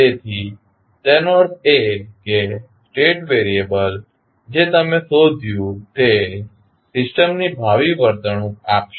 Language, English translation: Gujarati, So, that means the state variable which you find will give you the future behaviour of the system